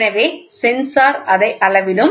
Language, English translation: Tamil, So, the sensor will measure it